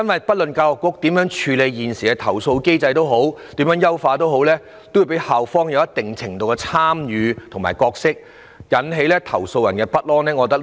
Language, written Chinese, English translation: Cantonese, 不論教育局如何處理投訴或優化現時的投訴機制，校方也會有一定程度的參與，這樣會引起投訴人的不安。, No matter how the Education Bureau handles complaints or how it enhances the complaints mechanism schools will be involved in the process to a certain extent and complainants will not rest assured